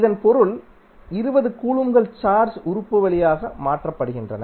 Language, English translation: Tamil, It means that 20 coulomb of charge is being transferred from through the element